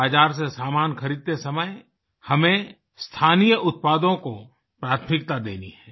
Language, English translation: Hindi, While purchasing items from the market, we have to accord priority to local products